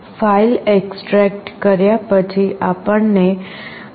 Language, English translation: Gujarati, After extracting the file we shall get this CoolTerm